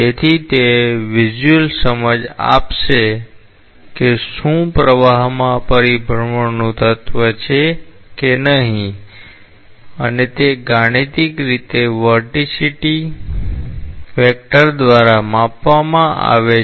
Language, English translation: Gujarati, So, that will give a visual understanding of whether the flow has an element of rotationality or not and that mathematically is quantified by the vorticity vector